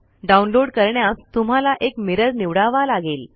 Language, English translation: Marathi, Click this, you may need to choose a mirror for download